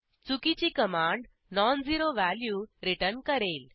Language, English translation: Marathi, An erroneous command returns a non zero value